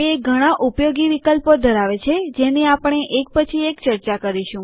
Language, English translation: Gujarati, It has useful options which we will discuss one by one